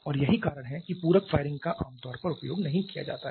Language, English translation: Hindi, And that is why the supplementary firing are generally not used